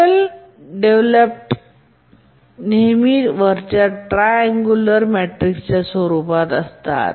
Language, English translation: Marathi, If we look at the tables that we developed, they are always in the form of a upper triangular matrix